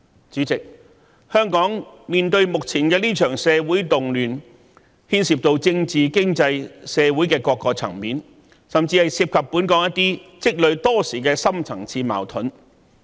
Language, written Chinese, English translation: Cantonese, 主席，香港目前面對的這場社會動亂，牽涉到政治、經濟、社會等各個層面，甚至涉及本港一些積累多時的深層次矛盾。, President the present social turmoil faced by Hong Kong involves many problems in political economic and social aspects and even some deep - rooted contradictions which have been in existence in Hong Kong for many years